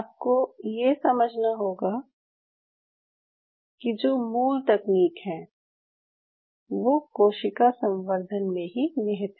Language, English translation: Hindi, You have to understand the basic fundamentals still lies in the cell culture